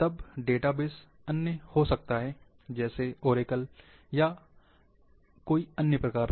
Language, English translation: Hindi, Then the database might be in other form, like in oracle or other